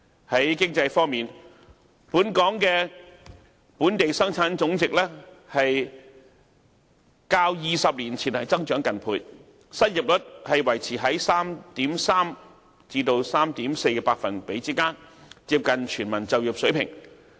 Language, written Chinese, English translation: Cantonese, 在經濟方面，香港的本地生產總值較20年前增長近倍，失業率維持在 3.3% 至 3.4% 之間，接近全民就業水平。, In respect of economy Hong Kongs GDP has almost doubled that of 20 years ago and the unemployment rate remains at 3.3 % to 3.4 % which is close to the level of full employment